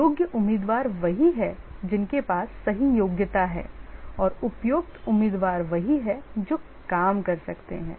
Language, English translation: Hindi, Eligible candidates are the ones who have the right qualification and suitable candidates are the one who can do the job